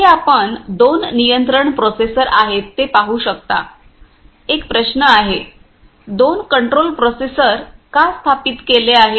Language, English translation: Marathi, Here we can see the two control processors are there say, one question is there, why two control processors are installed heres